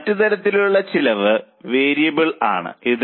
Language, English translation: Malayalam, Other type of cost is variable